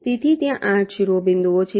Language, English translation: Gujarati, so there are eight vertices